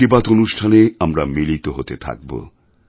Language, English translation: Bengali, We will keep meeting through Mann Ki Baat, and will keep sharing matters close to our hearts